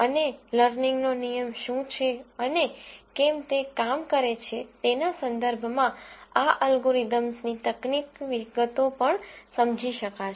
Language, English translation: Gujarati, And also would understand the technical details of these algorithms in terms of what is the learning rule and why does it work and so on